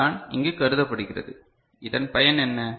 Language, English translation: Tamil, So, this is what is considered over here and what is the benefit